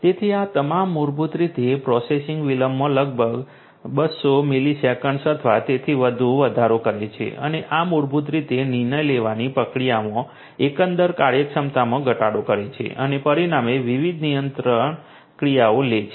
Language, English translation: Gujarati, So, all of these basically increases the processing delay by about 200 millisecond or even more and this basically reduces the overall you know this basically reduces the overall efficiency in the decision making process and taking different control actions consequently